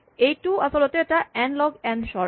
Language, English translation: Assamese, This is actually an n log n sort